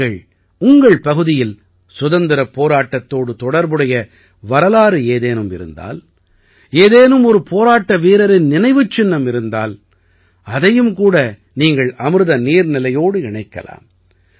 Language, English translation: Tamil, If there is any history related to freedom struggle in your area, if there is a memory of a freedom fighter, you can also connect it with Amrit Sarovar